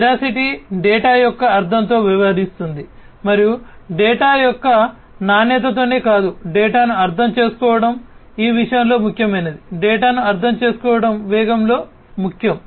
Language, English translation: Telugu, Veracity deals with the understandability of the data and not just the quality of the data, understanding the data is important in this thing; understanding the data is important in velocity